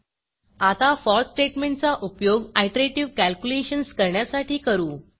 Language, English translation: Marathi, We will now demonstrate the use of the for statement to perform iterative calculations